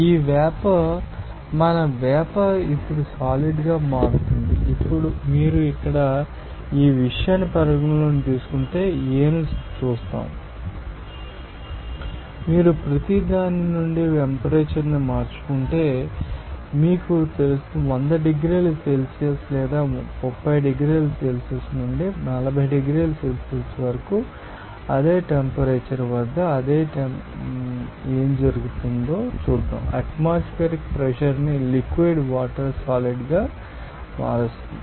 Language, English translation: Telugu, So, it will be you know that vapour to solid AB is actually at 40 degrees centigrade, this vapour will be what our vapour will be converting into solid now, if we consider here you know that point A you will see that if we you know that a change the temperature from each you know that 100 degrees Celsius or any suppose that 30 degrees Celsius to you know that 40 degrees Celsius, what will happen at the same temperature at the same pressure obtain atmospheric pressure you will see that liquid, water will be converted into solid